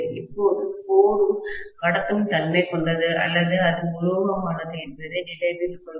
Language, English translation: Tamil, Now, please note that the core is also conductive or it is metallic, right